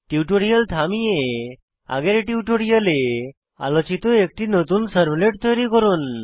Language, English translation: Bengali, Pause the tutorial and create a new servlet as explained in the earlier tutorial